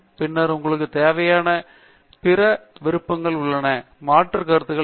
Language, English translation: Tamil, And then also, there are other options that you want what is the alternative hypothesis